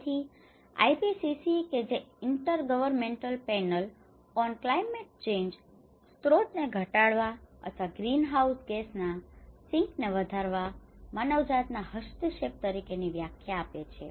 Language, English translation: Gujarati, So, the IPCC which is the Intergovernmental Panel on Climate Change defines mitigation as an anthropogenic intervention to reduce the sources or enhance the sinks of greenhouse gases